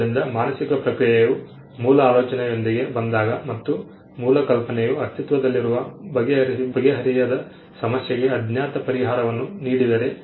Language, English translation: Kannada, So, the mental process when it comes up with an original idea and the original idea results in an unknown solution to an existing unsolved problem